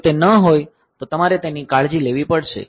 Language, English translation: Gujarati, If it is not you have to take care of